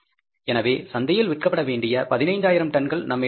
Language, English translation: Tamil, So we are left with the 15,000 tons to be sold in the market